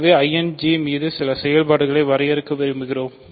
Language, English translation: Tamil, So, we want to define certain operations on I and J